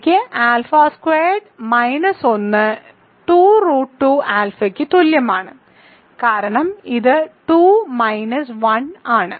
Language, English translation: Malayalam, So, I have alpha squared minus 1 equals 2 root 2 alpha because 2 minus it is 1